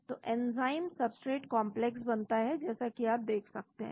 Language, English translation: Hindi, so the enzyme substrate complex is formed as you can see